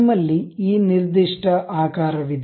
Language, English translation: Kannada, We have this particular shape